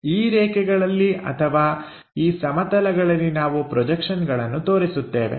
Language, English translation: Kannada, So, on these lines or on these planes we are going to show the projections